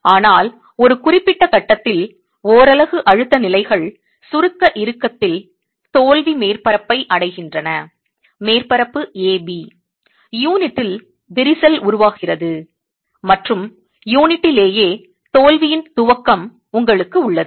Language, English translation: Tamil, But at a certain point, at a certain point the stress levels in the unit reach the failure surface in compression tension, the surface A, B, cracks are formed in the unit and you have the initiation of failure in the unit itself